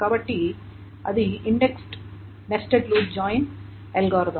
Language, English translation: Telugu, So that is the index nested loop join algorithm